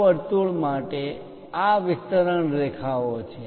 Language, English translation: Gujarati, For this circle these are the extension lines